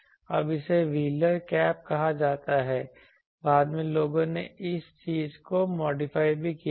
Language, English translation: Hindi, Now later people have so this is called wheeler cap later people have modified this thing also